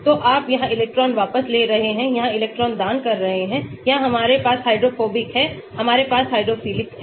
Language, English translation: Hindi, So, you have the electron withdrawing here electron donating here we have the hydrophobic here we have the hydrophilic